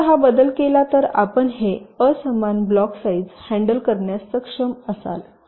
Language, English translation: Marathi, just this one change if you make, then you will be able to handle this unequal block sizes